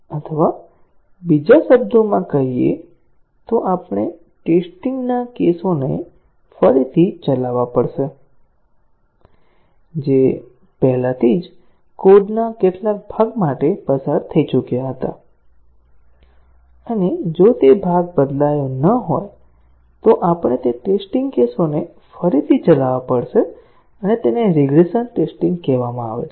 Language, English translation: Gujarati, Or, in other words, we have to rerun the test cases which had already passed for some part of the code and even if that part has not changed, we have to rerun those test cases again and that is called as regression testing